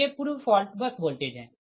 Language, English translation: Hindi, so these are the pre fault bus voltages